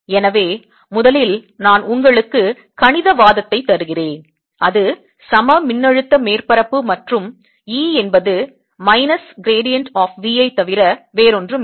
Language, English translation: Tamil, so first i will give you mathematical argument: is an equipotential surfaces and e is nothing but minus variant of b, sine